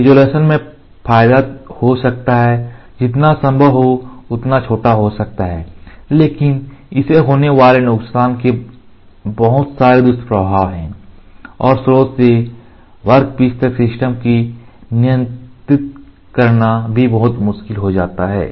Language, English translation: Hindi, The advantage can be the resolution, can be as small as possible, but the disadvantages as it has lot of side effects and controlling the system also becomes very difficult from the source to the workpiece